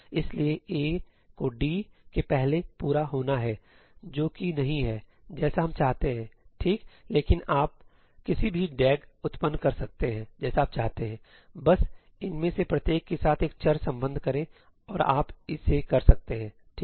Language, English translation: Hindi, So, A must complete before D, which is not what we wanted, right; but pretty much you can generate any DAG that you want, just associate a variable with each one of these and you can do it, right